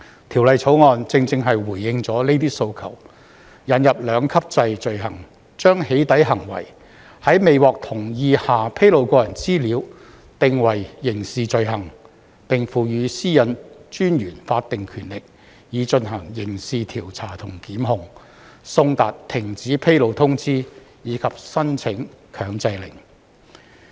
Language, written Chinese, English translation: Cantonese, 《條例草案》正正回應了這些訴求，引入兩級制罪行，將"起底"行為，即在未獲同意下披露個人資料，訂為刑事罪行，並賦予個人資料私隱專員法定權力以進行刑事調查和檢控、送達停止披露通知，以及申請強制令。, The Bill precisely responds to these requests by introducing offences of doxxing under a two - tier structure . While it is a criminal offence for disclosing personal data without consent the Privacy Commissioner for Personal Data is also given statutory powers to conduct criminal investigations and prosecutions to serve cessation notices and to apply for injunctions